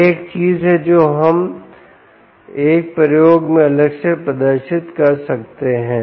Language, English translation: Hindi, that is one of the things which we can demonstrate separately ah in in another experiment